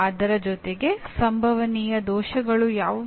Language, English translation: Kannada, In addition to that what are the possible errors